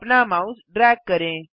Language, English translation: Hindi, Drag your mouse